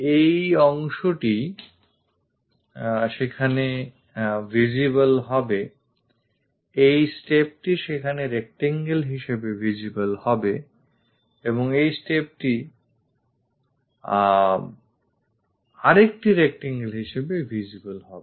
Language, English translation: Bengali, This part will be visible there, this step will be visible there as a rectangle and this step visible as another rectangle